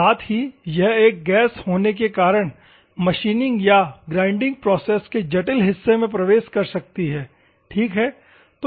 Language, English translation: Hindi, At the same time, it can penetrate being a gas into the intricate joules of machining or grinding process ok